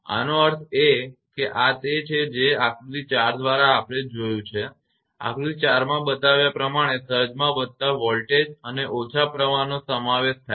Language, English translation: Gujarati, That means, this is actually that through the from figure 4 we have seen that surge consists of increased voltage and reduced current as shown in figure 4